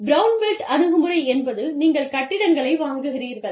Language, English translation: Tamil, Brownfield approach is, you purchase buildings